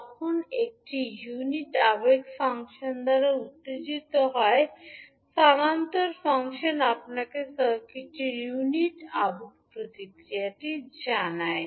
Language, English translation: Bengali, So, when it is excited by a unit impulse function, the transfer function will give you the unit impulse response of the circuit